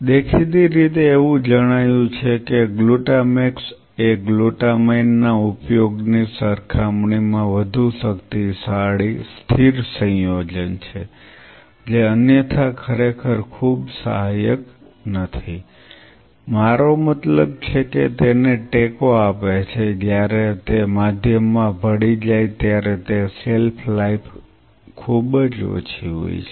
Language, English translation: Gujarati, Apparently it has been observed that glutamax is a much more potent stable compound as compared to using glutamine which otherwise is not really very supportive I mean, it supports it is just it is shelf life is very less once we mix it in the medium